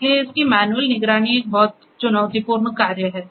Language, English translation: Hindi, Hence, its manual monitoring is a pretty challenging task